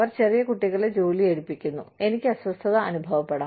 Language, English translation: Malayalam, They employ small children, I will feel uncomfortable